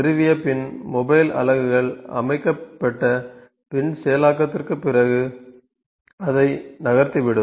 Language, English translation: Tamil, Mobile units from the installation after setting up for it and after processing , it moves it away